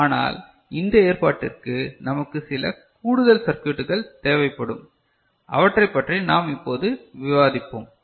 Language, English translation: Tamil, So, but in this arrangement we need some additional circuitry we are discussing that part over here ok